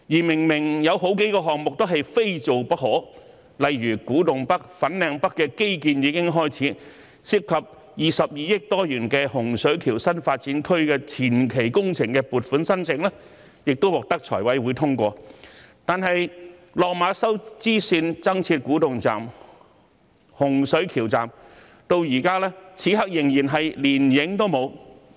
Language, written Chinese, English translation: Cantonese, 明明有數個項目是非做不可，例如古洞北、粉嶺北的基建已經開始，涉及逾22億元的洪水橋新發展區的前期工程撥款申請亦獲得財務委員會通過，但落馬洲支線增設古洞站、洪水橋站此刻連蹤影都沒有。, For example the infrastructure construction of Kwu Tung North and Fanling North has already started . The funding application for the preliminary works of the Hung Shui Kiu New Development Area involving more than 2.2 billion has been approved by the Finance Committee . However the additional Kwu Tung and Hung Shui Kiu stations of the Lok Ma Chau Spur Line are nowhere to be seen at this moment I think the problem arises mainly from the uncoordinated administration of different government departments in urban planning